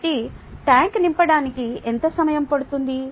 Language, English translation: Telugu, how long would it take to fill the tank